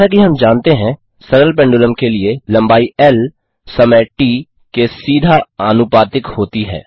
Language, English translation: Hindi, As we know for a simple pendulum, length L is directly proportional to the square of time T